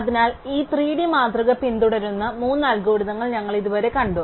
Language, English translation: Malayalam, So, we have seen three algorithms so far which follow this greedy paradigm